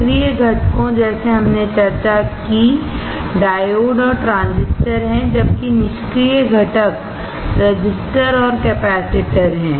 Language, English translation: Hindi, The active components like we discussed are diodes and transistors, while the passive components are resistors and capacitors